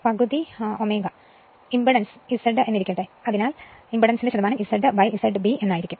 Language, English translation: Malayalam, Now, let impedance is Z right; therefore, percentage impedance will be Z upon Z B